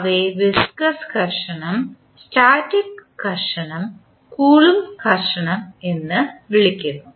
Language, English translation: Malayalam, We call them viscous friction, static friction and Coulomb friction